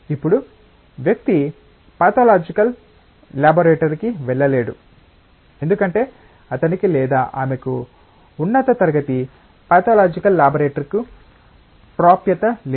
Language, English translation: Telugu, Now, the person cannot go to a pathological laboratory, because he or she does not have access to high class pathological laboratories